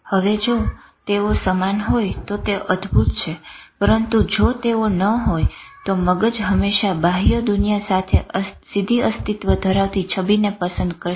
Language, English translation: Gujarati, Now, if they are same, wonderful but if they are not then the brain will always prefer the image which is relating directly to the external world for survival